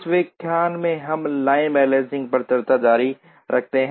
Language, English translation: Hindi, In this lecture, we continue the discussion on Line Balancing